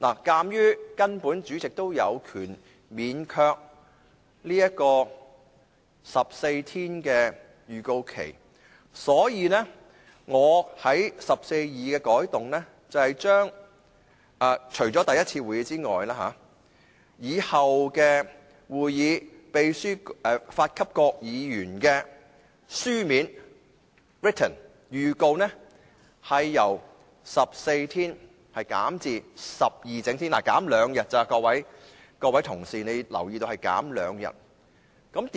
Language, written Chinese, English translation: Cantonese, 鑒於主席也有權免卻14整天前的預告期，所以，我對第142條的改動是，除首次會議外，以後的會議，秘書發給各議員的書面預告，由14整天減至12整天，各位同事，請留意只是減少兩天而已。, Given that the President has the power to dispense with such notice given to Members at least 14 clear days before the day of the meeting I propose a change to RoP 142 to the effect that written notice of every meeting of the Council other than the first meeting of a new session shall be given by the Clerk to Members at least 12 clear days instead of 14 clear days before the day of the meeting . Members may note that the notice period will only be shortened by two days